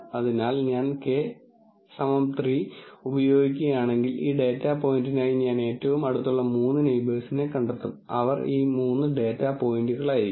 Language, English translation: Malayalam, So, if I were to use k equal to 3, then for this data point I will find the three closest neighbors, they happen to be these three data points